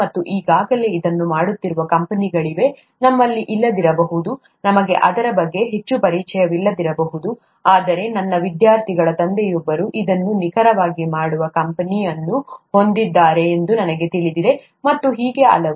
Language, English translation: Kannada, And it so happens that there are companies doing this already, we may not have, we may not be very familiar with it, but I know of one of my students’ fathers having a company which does exactly this, and so on and so forth